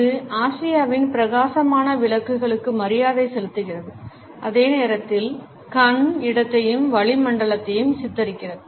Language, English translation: Tamil, It pays homage to the bright lights of Asia and at the same time portrays eye space and atmosphere which is soothing to look at